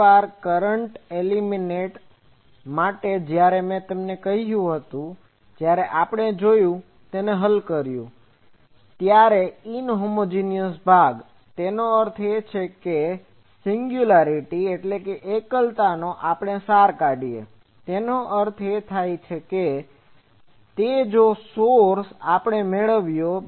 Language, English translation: Gujarati, I tell you once for current element when we saw we have solved it, the inhomogenous part; that means, the singularity also we extracted; that means, with that source we did